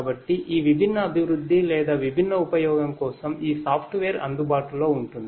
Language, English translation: Telugu, So, these software will be made available for these different development and or different use